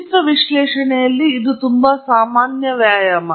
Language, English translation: Kannada, In image analysis, this is a very very common exercise